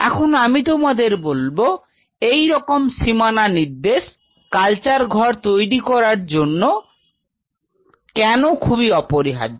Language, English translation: Bengali, I will tell you why such demarcation may be very essential in our culture room